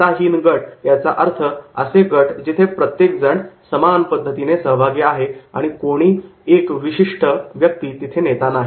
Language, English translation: Marathi, Leaderless group means are those groups where everyone is the equally participant and not the any particular person is the leader